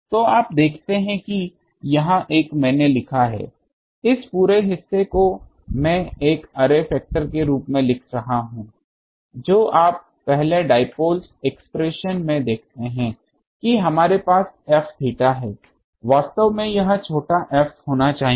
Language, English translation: Hindi, So, you see that this one I have written that this whole part this part I am writing as an array factor previously you see in the dipole expression we have F theta actually this have to be small f